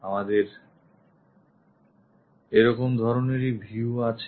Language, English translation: Bengali, We will have such kind of view